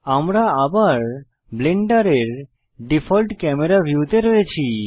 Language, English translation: Bengali, We are back to Blenders default view